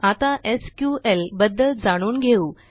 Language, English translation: Marathi, Okay, now let us learn about SQL